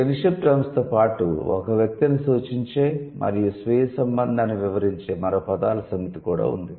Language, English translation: Telugu, In addition to the kinship terms, there is also another set of words that both refer to a person and describe the self's relationship